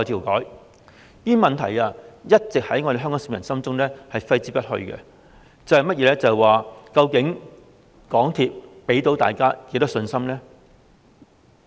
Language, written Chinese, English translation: Cantonese, 這些問題一直在香港市民心中揮之不去，究竟港鐵公司能給大家多少信心呢？, These questions have lingered in the minds of the people of Hong Kong . After all how much confidence can MTRCL give us?